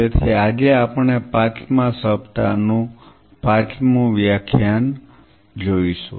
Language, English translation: Gujarati, So, today we will be doing the fifth lecture of the fifth week